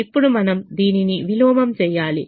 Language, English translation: Telugu, now we have to invert this once again